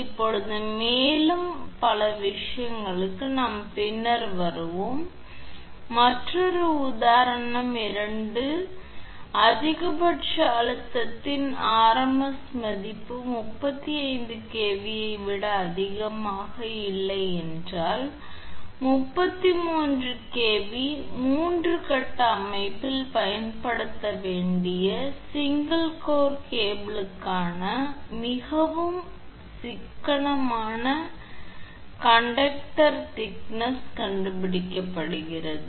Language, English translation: Tamil, Now further thing we will come later, now come another example 2; it is given that find the most economical conductor diameter for single core cables to be used on 33kV, 3 phase system if the rms value of maximum stress is not to exceed 35kV per centimeter